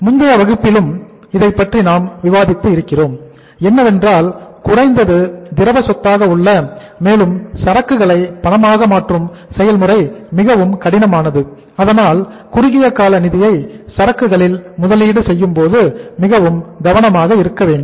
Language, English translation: Tamil, We have discussed in the previous class also that uh the asset which is the least liquid asset and converting inventory into cash is a difficult process so we should be careful while making investment of short term funds in the inventory